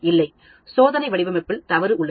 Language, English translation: Tamil, No, the experimental design is at mistake